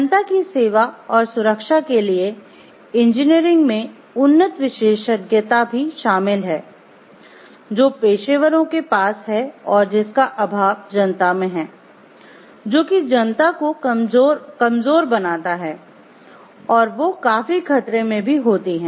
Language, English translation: Hindi, So, serving and protecting the public, engineering involves advanced expertise that professionals have and the public lacks and also considerable dangers to a vulnerable public